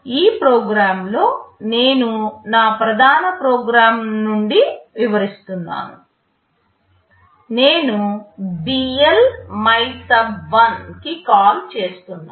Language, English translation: Telugu, In this program what I am illustrating from my main program, I am making a call BL MYSUB1